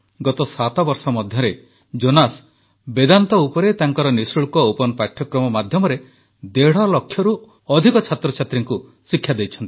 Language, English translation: Odia, During the last seven years, through his free open courses on Vedanta, Jonas has taught over a lakh & a half students